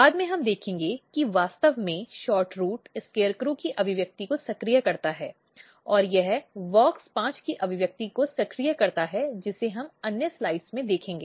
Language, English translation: Hindi, So, later on we will see that actually SHORTROOT activate expression of SCARECROW, and it activates the expression of WOX 5 which we will see in another slides